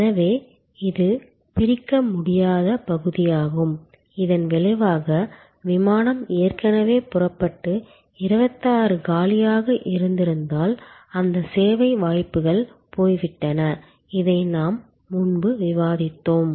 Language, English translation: Tamil, So, this is the inseparability part, as a result if the flight has already taken off and there were 26 vacant, that service opportunities gone, this we have discussed before